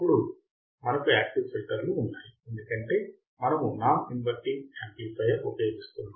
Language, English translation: Telugu, Then we have active filters, because we are using a non inverting amplifier